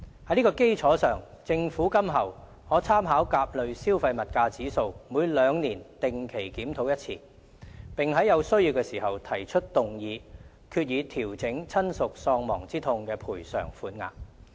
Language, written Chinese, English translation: Cantonese, 在這基礎上，政府今後可參考甲類消費物價指數，每兩年定期檢討一次，並在有需要時提出議案，決議調整親屬喪亡之痛賠償款額。, On this basis the Government will in future be able to conduct routine reviews every two years by making reference to the CPIA and move a resolution to adjust the bereavement sum if necessary